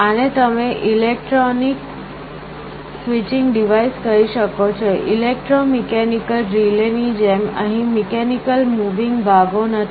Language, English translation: Gujarati, This you can say is an electronic switching device, there is no mechanical moving parts like in an electromechanical relay